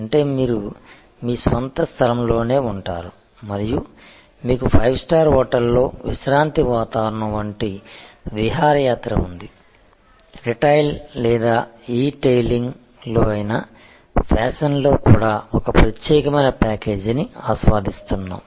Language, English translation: Telugu, That means, you stay at your own place and you have a vacation like relaxing environment in a five star hotel enjoying a special package also in fashion whether in retailing or etailing we are seeing this focused strategy coming up